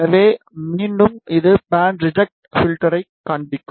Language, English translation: Tamil, So, again it will show band reject filter